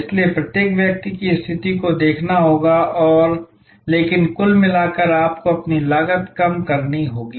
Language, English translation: Hindi, So, one will have to look at each individual situation and, but overall you must continuously lower your cost